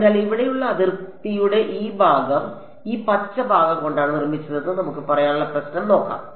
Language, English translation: Malayalam, So let us see the problem that let us say that this part of the boundary over here is made out of this green part